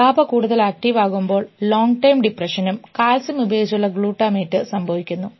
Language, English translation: Malayalam, So, if gaba is more active long term depression will happen, glutamate with calcium